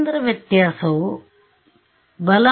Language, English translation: Kannada, It is a centre difference